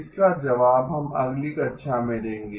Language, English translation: Hindi, We will give the answer in the next class